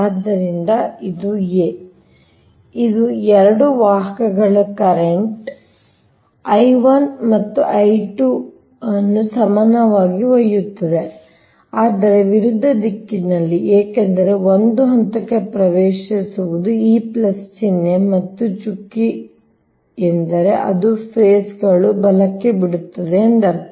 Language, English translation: Kannada, so this is the two conductors carrying current, i one and i two, equal but in opposite direction because one entering into phase this plus symbol and dot, means it is leaving the phase right